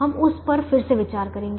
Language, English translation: Hindi, we will look at that again, we will see